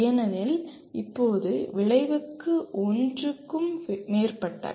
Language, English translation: Tamil, Because now outcomes can be are more than one